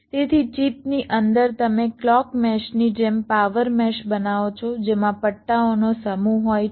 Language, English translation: Gujarati, so inside the chip you create a power mesh, just like a clock mesh, consisting of a set of stripes